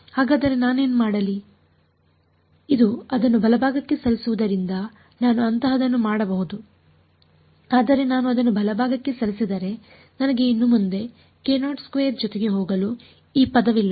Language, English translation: Kannada, So, what can I do, this move it to the right hand side I can do something like that, but if I move it to the right hand side I no longer have a E term to go along with k naught squared